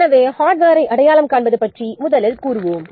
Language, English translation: Tamil, So let's first see about the identify the hardware